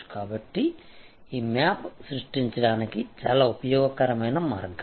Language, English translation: Telugu, So, this map therefore, this is a very useful way of creating